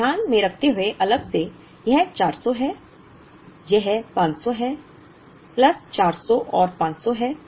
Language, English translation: Hindi, Keeping this separately, this is 400, this is 500 so, plus 400 and 500